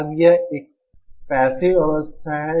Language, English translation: Hindi, Now this is a passive stage